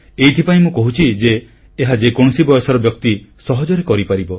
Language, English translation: Odia, I am saying this because a person of any age can easily practise it